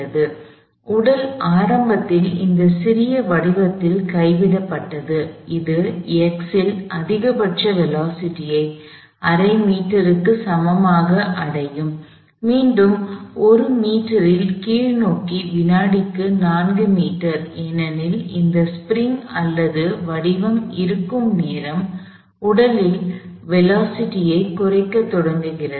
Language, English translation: Tamil, So, the body initially dropped on this little phone, it reaches the maximum velocity at x equals half a meter, back to 4 meter per second in the downward direction at 1 meter, because this is the time, when this ring all the phone beginning to decelerate the body